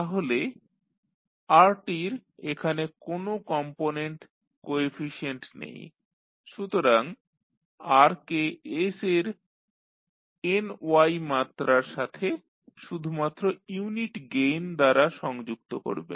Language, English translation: Bengali, So, rt does not have any component coefficient there so you will connect r with s to the power ny with only unit gain